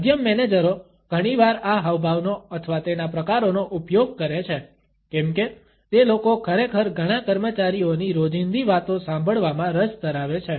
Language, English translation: Gujarati, Middle managers often use this gesture or it’s variations to come across as people who are actually interested in listening to a day to day talk of several employees